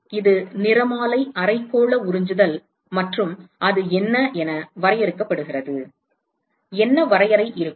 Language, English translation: Tamil, So, this is spectral hemispherical absorptivity and that is defined as what is it, what will be the definition